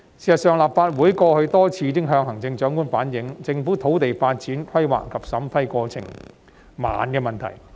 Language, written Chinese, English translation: Cantonese, 事實上，立法會過去已多次向行政長官反映，政府土地發展規劃及審批過程緩慢。, In fact the Legislative Council has relayed to the Chief Executive over and over again that the planning for land development as well as vetting and approval process have been slow